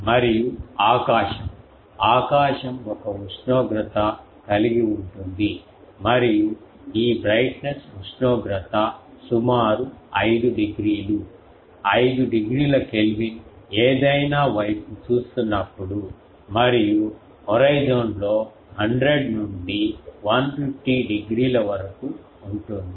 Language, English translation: Telugu, And also the sky, sky is have a temperature and this brightness temperature of around 5 degree, 5 Kelvin when looking towards any and about 100 to 150 degree in the horizon